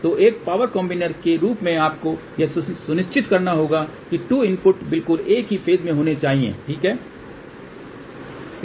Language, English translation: Hindi, So, as a power combiner you have to ensure that the 2 inputs are exactly at the same phase ok